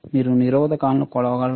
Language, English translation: Telugu, Can you measure the components